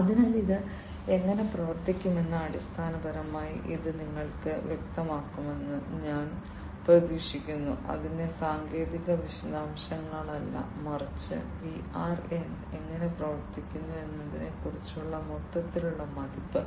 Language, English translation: Malayalam, So, I hope that this basically makes it clearer to you how it is going to work, not I mean not the technical details of it, but an overall impression about how VR works